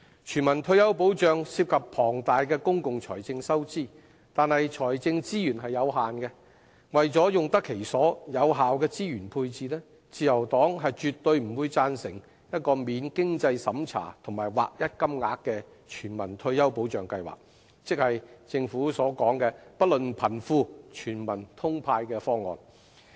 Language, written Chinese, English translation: Cantonese, 全民退休保障涉及龐大的公共財政收支，但財政資源有限，為用得其所，有效地進行資源配置，自由黨絕不贊成免經濟審查及劃一金額的全民退休保障計劃，即不論貧富，全民"通派"的方案。, A universal retirement protection system incurs huge public expenditure . The limited financial resources that we have must be spent properly and allocated efficiently . The Liberal Party can by no means agree with a universal retirement protection scheme that offers a flat - rate allowance without any means test that is a scheme handing out cash to all be they rich or poor